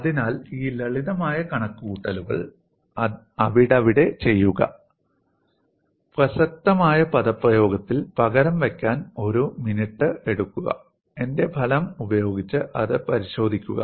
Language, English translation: Malayalam, So, do these simple calculations then and there, take a minute for substituting it in the relevant expression, and verify it with my result